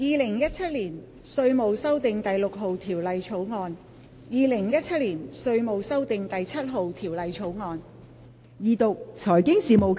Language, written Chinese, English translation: Cantonese, 《2017年稅務條例草案》《2017年稅務條例草案》。, Inland Revenue Amendment No . 6 Bill 2017 . Inland Revenue Amendment No